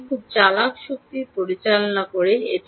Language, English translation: Bengali, here you do very clever power management